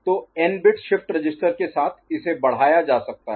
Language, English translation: Hindi, So, with n bit shift register, it can be extended